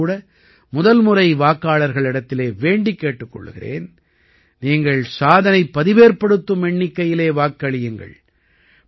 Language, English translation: Tamil, I would also urge first time voters to vote in record numbers